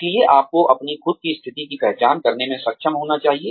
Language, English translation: Hindi, So, you have to be able to identify, your own position